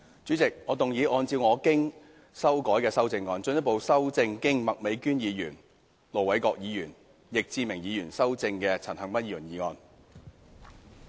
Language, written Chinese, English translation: Cantonese, 主席，我動議按照我經修改的修正案，進一步修正經麥美娟議員、盧偉國議員及易志明議員修正的陳恒鑌議員議案。, President I move that Mr CHAN Han - pans motion as amended by Ms Alice MAK Ir Dr LO Wai - kwok and Mr Frankie YICK be further amended by my revised amendment